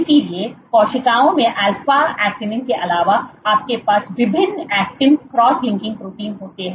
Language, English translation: Hindi, So, in cells apart from alpha actinin So, you have various actin cross linking proteins